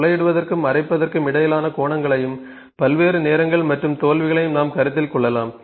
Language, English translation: Tamil, Angles between drilling and grinding all those things we can consider here and with less times and failures